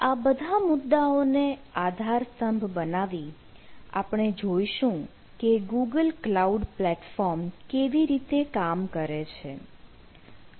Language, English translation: Gujarati, so, keeping all this ah at the backbone, we will try to see that what google cloud platform provides